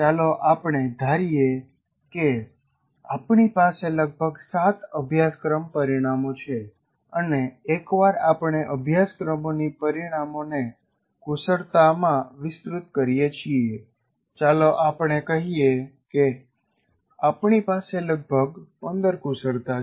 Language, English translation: Gujarati, Let us assume we have about the seven course outcomes and once we elaborate the course outcomes into competencies, let's say we have about 15 competencies